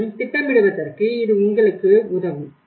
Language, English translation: Tamil, And then you can it will help you in planning further